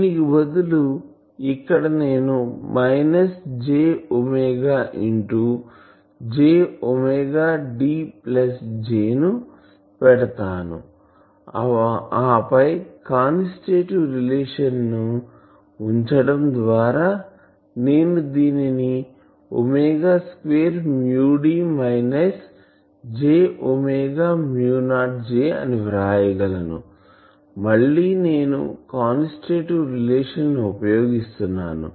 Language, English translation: Telugu, So, I can put that minus j omega mu then in place of that I will put j omega D plus J, and then again by putting the constitutive relation; I can write these has omega square, mu D minus j omega mu not J, again I am using constitutive relation